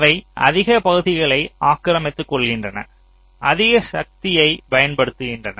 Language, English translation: Tamil, they consume more area, they will consume more power